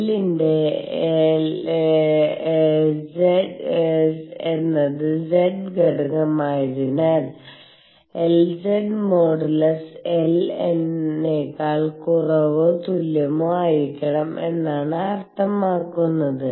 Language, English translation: Malayalam, Since L z is z component of L it means that modulus L z has to be less than or equal to L